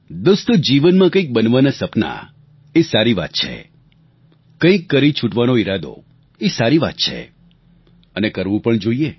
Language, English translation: Gujarati, Friends, dreams of making it big in life is a good thing, it is good to have some purpose in life, and you must achieve your goals